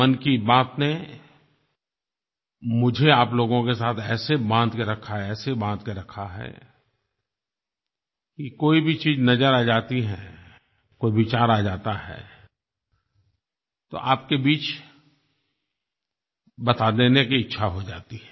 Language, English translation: Hindi, Mann Ki Baat has bonded me with you all in such a way that any idea that comes to me, I feel like sharing with you